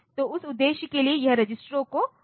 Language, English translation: Hindi, So, for that purpose these registers are used